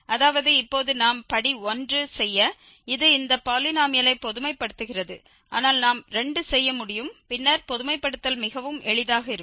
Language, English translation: Tamil, That means, now generalizing just this polynomial which we have just done for degree 1, but we can do for 2 and then generalization will be much easier